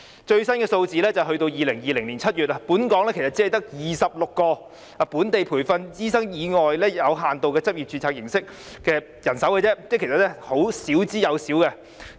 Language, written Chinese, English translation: Cantonese, 最新的數字是截至2020年7月，本港只有26名非本地培訓醫生以有限度執業註冊形式在醫院工作，即其實是少之又少。, The latest figure showed that as at July 2020 there were only 26 non - locally trained doctors working in hospitals under limited registration which is actually an incredibly small number